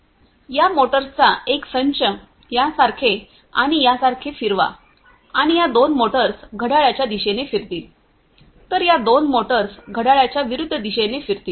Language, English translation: Marathi, And one set of motors one set of motors will rotate like this one and this one, these two motors will rotate in a counterclockwise direction whereas, these two motors rotate in the clockwise direction